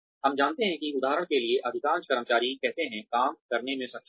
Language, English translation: Hindi, We know that, say most of the employees, for example, are able to work